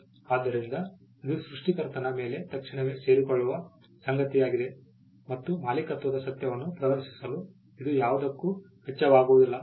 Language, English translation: Kannada, So, this is something that accrues immediately on the creator and it does not cost anything to display the fact of ownership